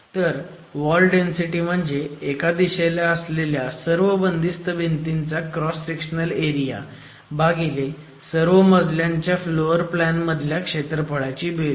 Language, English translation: Marathi, So, it's the total cross sectional area of the confined wall panels in one direction divided by the sum of the floor plan areas in all the floors